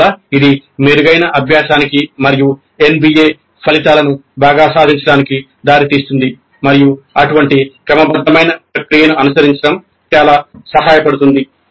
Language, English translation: Telugu, Thus it leads to better learning and better attainment of the NBA outcomes and it is very helpful to follow such a systematic process